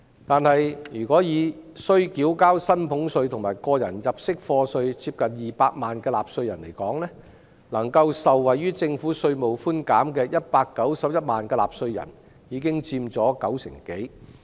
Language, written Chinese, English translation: Cantonese, 但是，需要繳交薪俸稅和個人入息課稅的納稅人接近200萬，能夠受惠於這項稅務寬減的有131萬人，已經佔當中六成多。, However among a total of close to 2 million taxpayers chargeable to salaries tax and tax under PA 1.31 million will benefit from the tax concessions in question making up more than 60 % of all taxpayers